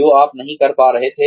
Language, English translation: Hindi, What you were not able to do